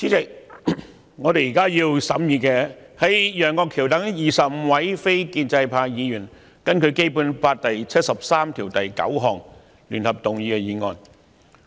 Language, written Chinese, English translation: Cantonese, 主席，我們現正審議的是由楊岳橋議員等25位非建制派議員根據《基本法》第七十三條第九項聯合動議的議案。, President we are now considering the motion jointly initiated by Mr Alvin YEUNG and 24 other non - pro - establishment Members under Article 739 of the Basic Law